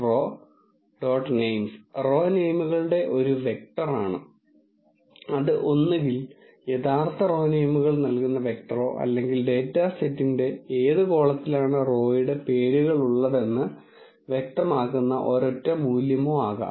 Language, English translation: Malayalam, And row dot names is a vector of row names, it can be either a vector giving the actual row names or a single value which specifies what column of the data set is having the row names